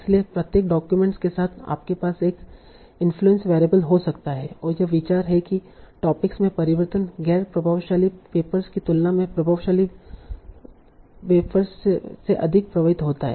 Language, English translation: Hindi, So with each document you might have an influence variable and the idea is that the change in topics are more affected by the influential papers than the non influential papers